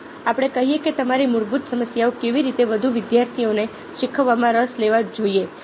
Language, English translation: Gujarati, let's let's say that your basic problems how to get more students interested in learning